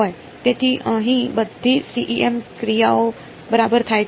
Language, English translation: Gujarati, So, this is where all the CEM actions happen ok